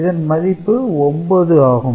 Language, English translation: Tamil, So, the number is more than 9